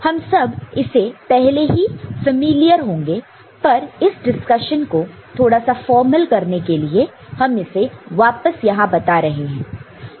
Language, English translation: Hindi, We are all we may be already familiar with this, but to formalize this discussion we put it over here